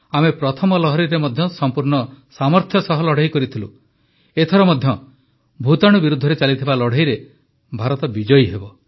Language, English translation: Odia, In the first wave, we fought courageously; this time too India will be victorious in the ongoing fight against the virus